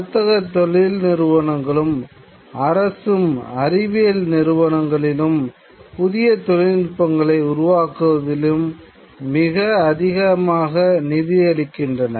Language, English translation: Tamil, Certainly companies, and there is a lot of government funds in scientific institutions in developing new technologies